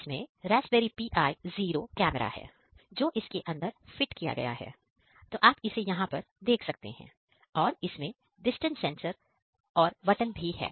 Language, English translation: Hindi, It has a Raspberry Pi Zero, camera which is fit inside you can see this one and it has a distance sensor and the button